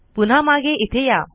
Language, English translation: Marathi, Go back here